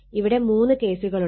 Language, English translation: Malayalam, This is the case 3